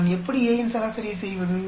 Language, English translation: Tamil, How do I average out A